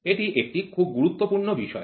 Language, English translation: Bengali, This is a very very important subject